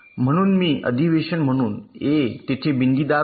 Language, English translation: Marathi, so as a convention, i am using a dotted line there you say